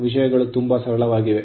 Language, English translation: Kannada, Things are very simple